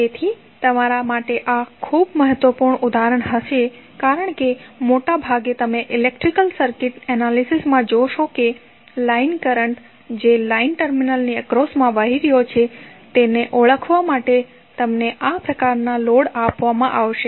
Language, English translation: Gujarati, So, these would be very important example for you because most of the time you will see in the electrical circuit analysis you would be given these kind of load to identify the line currents which are flowing across the line terminals